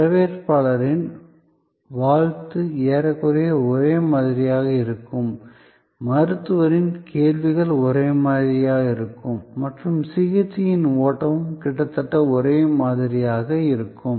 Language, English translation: Tamil, The greeting from the receptionist will be almost same, the Doctor’s questions will be of the same type and the flow of treatment will also be almost similar